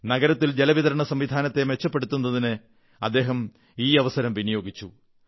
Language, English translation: Malayalam, He utilized this opportunity in improving the city's water supply network